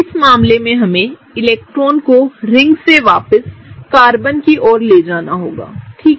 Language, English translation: Hindi, In this case we have to move electrons from the ring back to the Carbon, right